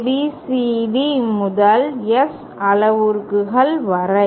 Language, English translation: Tamil, ABCD to S parameters